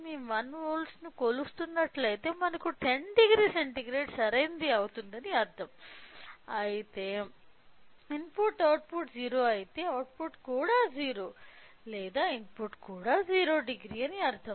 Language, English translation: Telugu, If we are measuring 1 volt which means that we are getting 10 degree centigrade right whereas, if the input is output is 0 which means that the output is also 0 or the input is also 0 degree